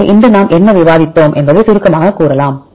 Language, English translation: Tamil, So, by summarizing what did we discuss today